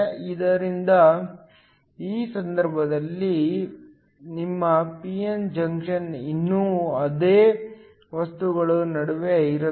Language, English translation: Kannada, So, in this case your p n junction is still between the same materials